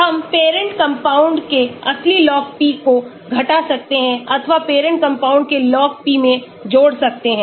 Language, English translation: Hindi, We can subtract the original log p of the parent compound, or add to the log p of the parent compound